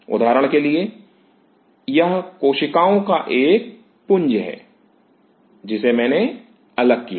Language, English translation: Hindi, Now for example, it is a mass of cells which I have isolated